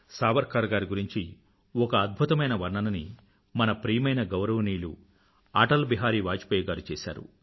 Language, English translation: Telugu, A wonderful account about Savarkarji has been given by our dear honorable Atal Bihari Vajpayee Ji